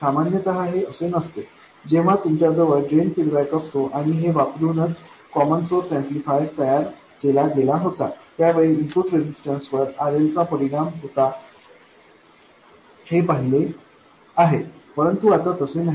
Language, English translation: Marathi, When you had a drain feedback and the common source amplifier was built around that, you saw that the input resistance was affected by RL, but now it is not